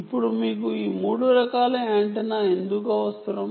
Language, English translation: Telugu, now, why do you need these three different types of antenna